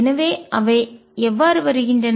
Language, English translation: Tamil, So, how do they come through